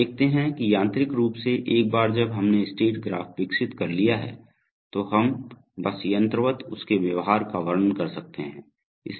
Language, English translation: Hindi, So you see that mechanically once we have developed the state graph we can simply mechanically describe its behavior